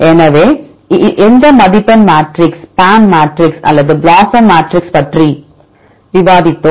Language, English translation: Tamil, So, which scoring matrix, we use we discussed about 2 matrixes either PAM matrix or BLOSUM matrix